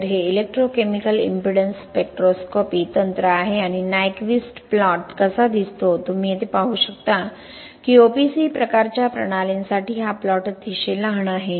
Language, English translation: Marathi, So here we found that our resistance is very different so this is the electrochemical impedance spectroscopy technique and how the Nyquist plot look like you can see here this is the plot very small plot for OPC type systems